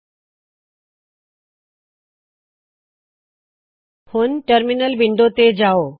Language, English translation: Punjabi, Let me go to the terminal